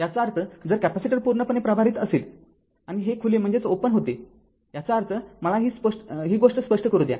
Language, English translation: Marathi, That means, if capacitor is fully charged and this was is open, that means just let me make your thing clear